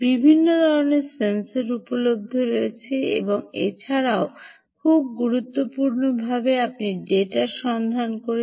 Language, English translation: Bengali, different type of sensors are available and also, very importantly, you are to look for the data sheets very carefully